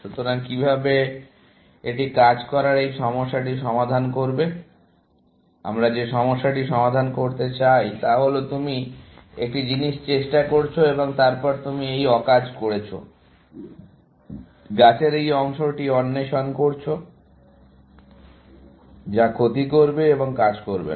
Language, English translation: Bengali, So, how does one solve this problem of doing, what is the issue that we want to address is that; you tried one thing and then, you are doing this useless work, exploring this part of the tree, which will loss and not going to work